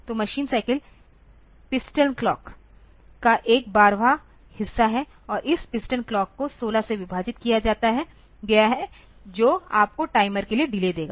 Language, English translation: Hindi, So, machine cycle is one twelfth of the piston clock and this piston clock is divided by sorry the machine cycle is divided by 16 so, that will give you the delay for the timer